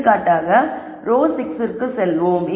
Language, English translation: Tamil, Let us pick for example, row 5